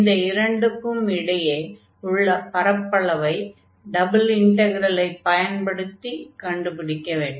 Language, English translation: Tamil, So, this is the area we are going to compute now with the help of double integral